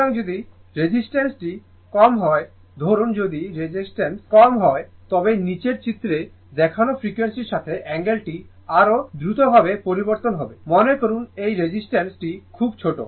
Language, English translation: Bengali, So, if the resistance is low suppose if the resistance is low the angle changes more rapidly with the frequency as shown in figure below suppose this resistance is very small